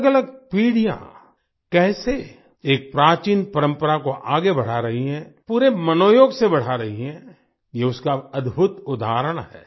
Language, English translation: Hindi, This is a wonderful example of how different generations are carrying forward an ancient tradition, with full inner enthusiasm